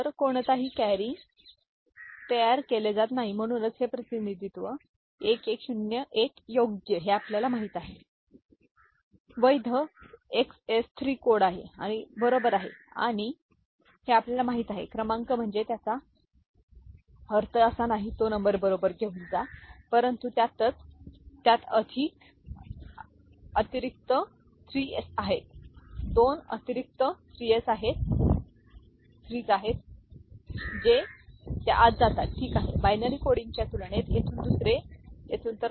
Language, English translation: Marathi, So, no carry is produced, so this representation 1101, right this is a you know, valid XS 3 code, right and this the valid you know, number I mean valid number in the sense the number which is which does not produce any carry, right but within it , it has 2 additional 3s, 2 additional 3s that goes inside it, ok, one from here another from here compared to binary coding